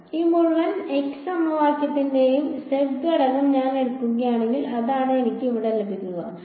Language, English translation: Malayalam, So, if I take the z component of this entire x equation that is what I will get over here